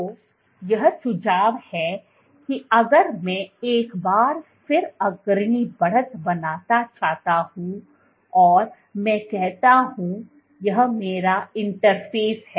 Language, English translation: Hindi, So, this would suggest that if I want to again once again draw the leading edge and I say this is my interface